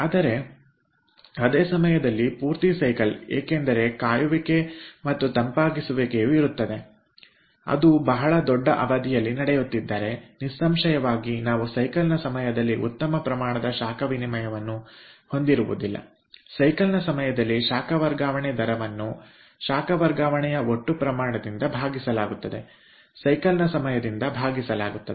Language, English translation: Kannada, that should be, if it is very, if it is taking place over a very large period of time, then obviously we will not have a good amount of heat exchange a during the cycle because the heat transfer rate will be divided by total amount of heat transfer divided by the time of cycle